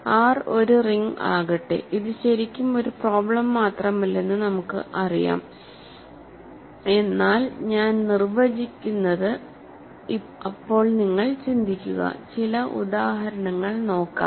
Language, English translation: Malayalam, So, let R be a ring, we know that this is really more not just a problem, but I am defining then you think and we will compute it for some examples